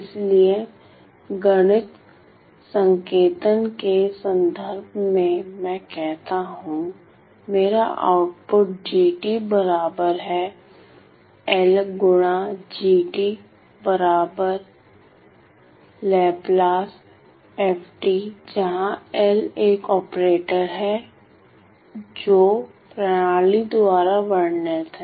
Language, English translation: Hindi, So, in terms of math notation, I say that my output g of t is equal to L times the input where L is an operator which is described by the system